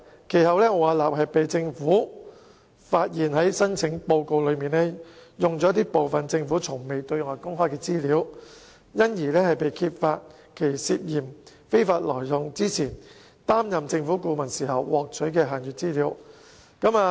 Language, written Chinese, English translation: Cantonese, 政府其後發現奧雅納在其申請報告挪用政府從未對外公開的資料，因而揭發它涉嫌非法挪用擔任政府顧問時獲取的限閱資料。, Subsequently the Government discovered the use of undisclosed information by Arup in its application report and hence uncovered the alleged illegal use of the restricted information obtained when it served as the Governments consultancy